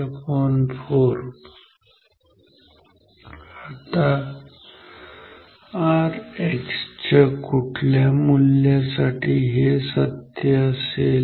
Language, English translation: Marathi, Now, for what value of R X this is true